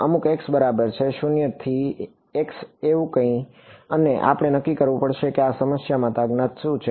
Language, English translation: Gujarati, Some x is equal to 0 to x is equal to x a something like that right and we have to decide what are the unknowns for this problem ok